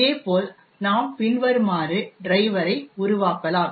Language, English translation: Tamil, Similarly, we could also make the driver as follows